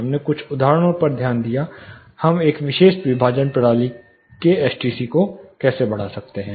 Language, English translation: Hindi, We also looked at few examples of, how do we increase the STC of a particular partition system